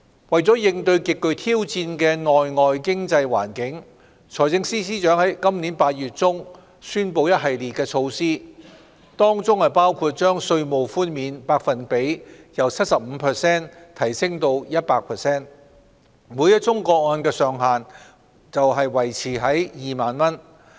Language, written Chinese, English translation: Cantonese, 為應對極具挑戰的內外經濟環境，財政司司長在今年8月中宣布一系列措施，當中包括將稅務寬免百分比由 75% 提升至 100%， 每宗個案的上限則維持在2萬元。, In response to the highly challenging internal and external economic environment the Financial Secretary announced a series of measures in August this year including an increase of the tax concession rate from 75 % to 100 % while retaining the ceiling of 20,000 per case